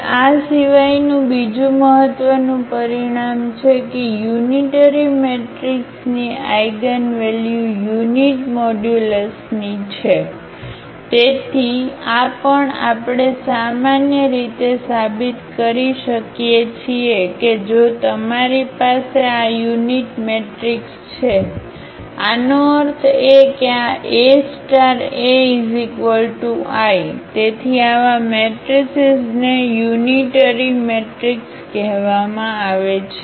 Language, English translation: Gujarati, Now, another important result that the eigenvalues of unitary matrix are of unit modulus, so this also we can prove in general that if you have this unitary matrix; that means, this A star A is equal to is equal to identity matrix, so such matrices are called the unitary matrix